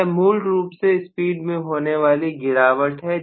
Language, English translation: Hindi, That is essentially the drop in the speed